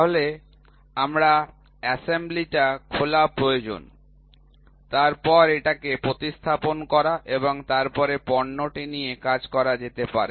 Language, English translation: Bengali, So, I need to open the assembly replace it and then go ahead with the product